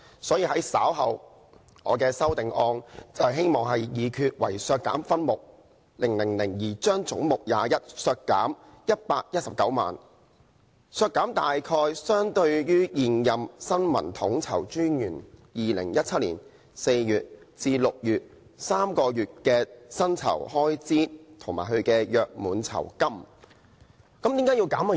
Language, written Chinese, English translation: Cantonese, 所以，我稍後的修正案希望議決"為削減分目000而將總目21削減119萬元，削減大約相當於現任新聞統籌專員2017年4月至6月的3個月薪酬開支預算及其約滿酬金"。, Hence I will move an amendment later on to the effect that head 21 be reduced by 1.19 million in respect of subhead 000 that is an amount approximately equivalent to the estimated expenditure for the emoluments for three months from April to June 2017 and gratuity of the incumbent Information Co - ordinator